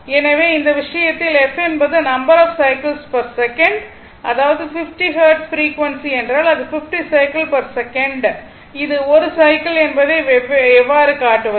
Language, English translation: Tamil, So that means, so in this case, the f is the number of cycles per second 50 hertz frequency means it is 50 cycles per second, right